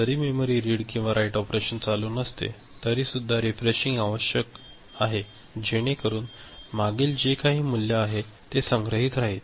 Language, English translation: Marathi, Even when memory read or write operation is not taking place so that previous value whatever it is remain stored